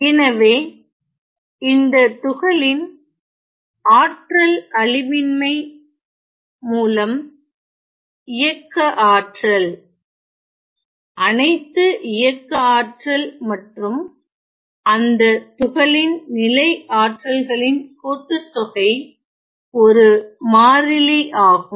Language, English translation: Tamil, So, now I know that by conservation of energy of the particle I know that the kinetic energy the sum total of all the kinetic energy plus the potential energy of the particle is a constant ok